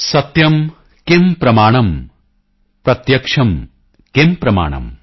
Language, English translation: Punjabi, Satyam kim pramanam, pratyaksham kim pramanam